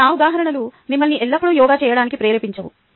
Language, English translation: Telugu, but just those examples dont really motivate you to do yoga